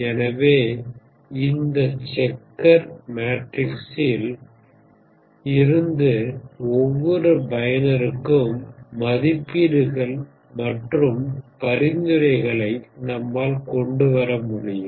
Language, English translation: Tamil, So from this checker kind of matrix, we have to come up with the ratings and recommendations for each user, ok